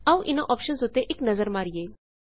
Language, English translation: Punjabi, Let us have a look at these options